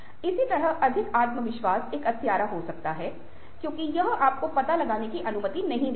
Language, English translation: Hindi, similarly, over confidence can be a killer because that does not permit you to explore